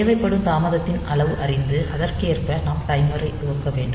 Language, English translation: Tamil, So, that amount of delay needed is known and for that we have to initialize the timer accordingly